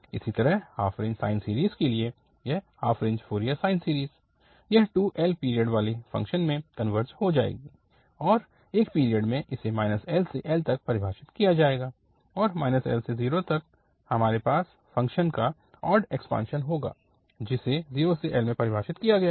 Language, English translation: Hindi, Similarly, for the half range sine series, the Fourier series, this half range Fourier sine series will converge to the function having period 2L and in one period will be defined from minus L to L and from minus L to 0 we will have the odd extension of the function which is defined in this 0 to L